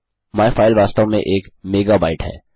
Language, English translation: Hindi, myfile is actually a mega byte